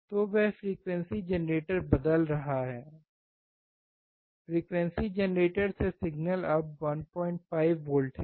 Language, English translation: Hindi, So, he is changing the frequency generator; the signal from the frequency generator which is now 1